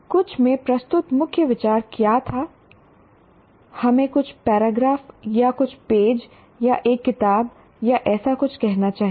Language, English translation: Hindi, What was the main idea presented in some, let's say, some paragraph or some page or in a book or something like that